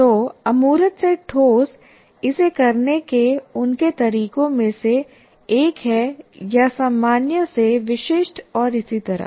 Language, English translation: Hindi, So abstract to concrete is one of their ways of doing it, are general to specific and so on